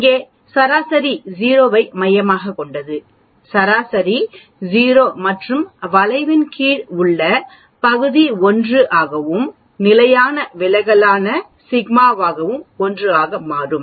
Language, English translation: Tamil, Where, the mean is centered around 0, the mean is 0 and the area under the curve will become 1 and sigma that is the standard deviation will become also 1